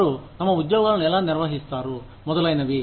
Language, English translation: Telugu, How they managed those jobs, etcetera